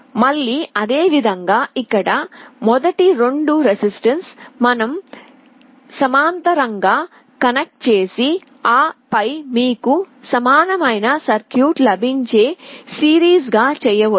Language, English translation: Telugu, Again similarly the first 2 resistances here, you can connect in parallel and then do a series you get an equivalent circuit like this